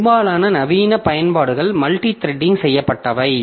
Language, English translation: Tamil, Most modern applications are multi threaded